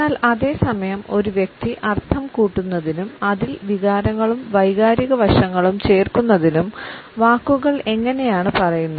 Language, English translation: Malayalam, But at the same time how the words have been spoken by a person to add the connotations and feelings in emotional aspects to it